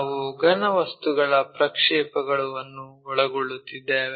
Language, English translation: Kannada, We are covering Projection of Solids